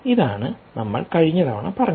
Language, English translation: Malayalam, thats what we said last time